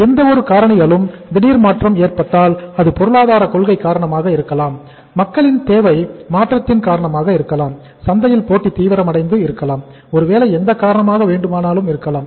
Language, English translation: Tamil, That happens if sudden uh change takes place in any of the factors maybe because of economic policy, maybe because of change in the demand of the people, maybe because of the intensification of the competition in the market, maybe any reason could be there